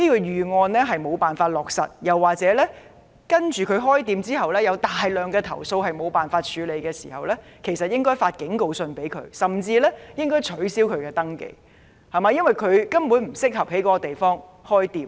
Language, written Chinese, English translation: Cantonese, 如果商店無法落實管理預案或開店後有大量投訴卻無法處理，便應向他們發警告信，甚至取消他們的登記，因為他們根本不適合在該處開店。, If the shops fail to implement the contingency plan or to handle a large number of complaints after their opening TIC should issue them a warning letter or even revoke their registration because such shops are basically not suitable to operate in the area